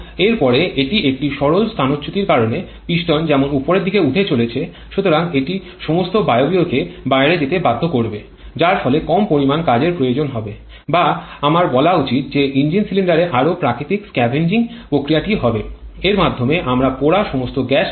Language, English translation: Bengali, And after that it is a plain displacement because as the piston is moving upward, so that will force all the gaseous to go out, thereby allowing a less amount of work requirement or I should say thereby allowing a more natural process of scavenging the engine cylinder, thereby we can get rid of all the burnt gases